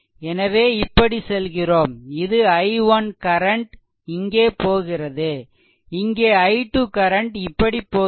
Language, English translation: Tamil, So, we are moving like this so, this i 1 current is flowing here and here i 2 is like this right